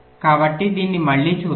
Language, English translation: Telugu, right, so let us see